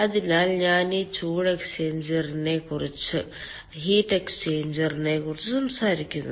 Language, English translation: Malayalam, so i am talking about this heat exchanger